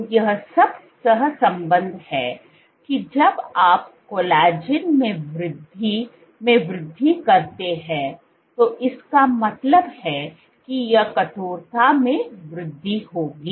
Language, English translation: Hindi, So, what has been, so all of this kind of correlate that as you have increase in, so increase in collagen would mean it to increase in stiffness